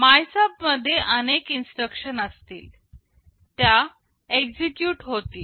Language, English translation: Marathi, In MYSUB, there will be several instructions, it will execute